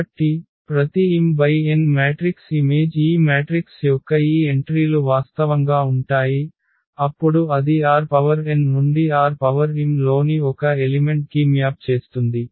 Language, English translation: Telugu, So, every m cross n matrix maps and maps and these entries of these matrices are real of course then it maps an element from R n to an element in R m